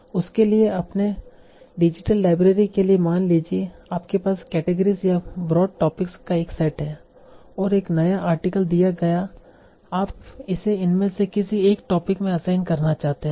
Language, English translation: Hindi, For that, suppose for your digital library you have a set of categories or broad topics and given a new article you want to assign it to one of these topics